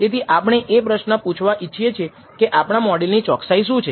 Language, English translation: Gujarati, We want to ask this question, what is the accuracy of our model